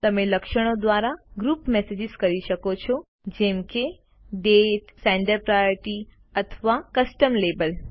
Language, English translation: Gujarati, You can group messages by attributes such as Date, Sender,Priority or a Custom label